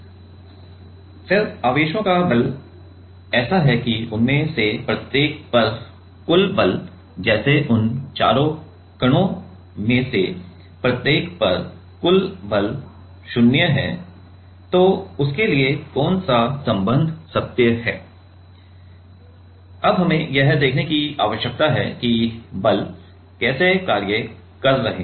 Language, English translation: Hindi, And then the force the charges are such that the total force on each of those like the total force on each of those four particles is zero, Then what relation is true so for that, we need to see that how the forces are acting